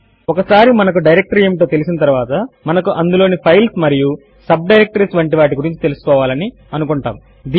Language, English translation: Telugu, Once we know of our directory we would also want to know what are the files and subdirectories in that directory